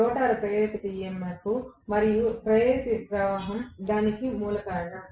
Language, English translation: Telugu, The root cause was the induced EMF and induced current in the rotor